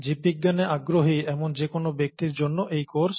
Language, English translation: Bengali, This is for anybody who has an interest in biology